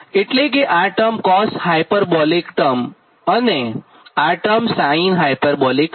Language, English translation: Gujarati, therefore this term actually cos hyperbolic and this term actually sin hyperbolic